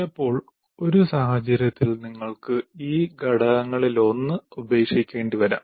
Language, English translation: Malayalam, So sometimes depending on the situation, you may have to sacrifice one of these elements